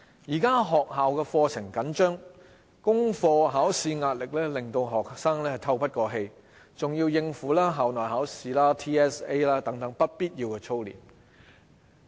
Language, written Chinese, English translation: Cantonese, 現時學校課程緊迫，功課考試壓力令學生透不過氣，還要應付校內考試、TSA 等不必要的操練。, With the tight school curriculum schedule together with the pressure from schoolwork and examinations students are hard - pressed . Moreover they are unnecessarily drilled for school examinations TSA etc